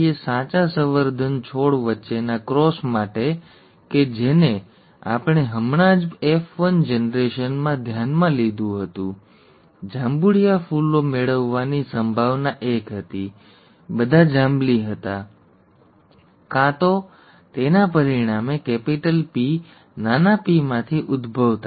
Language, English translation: Gujarati, For the cross between true breeding plants that we just considered in the F1generation, the probability of getting purple flowers was one; all were purple, either resulting from, rather as a rising from capital P small p, okay